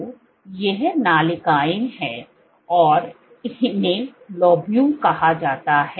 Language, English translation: Hindi, So, these are ducts and these are called lobules